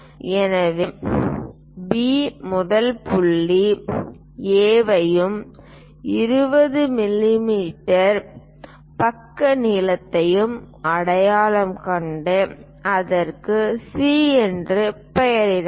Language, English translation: Tamil, So, P first identify point A point A here and a side length of 20 mm and name it C